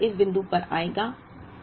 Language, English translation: Hindi, The 2nd order will come at this point